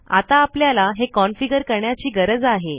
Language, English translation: Marathi, Okay, so what we will do is, we need to configure this